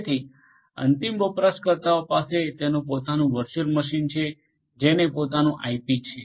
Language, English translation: Gujarati, So, the end user has it is own virtual machine which has it is own IP